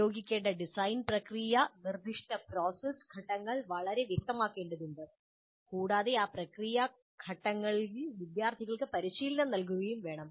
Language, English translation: Malayalam, And the design process to be used, the specific process steps need to be made very clear and students must be trained in those process steps